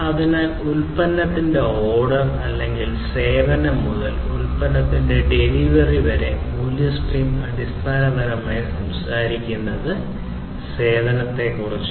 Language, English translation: Malayalam, So, basically starting from the ordering of the product or the service to the delivery of the product or the service is what the value stream basically talks about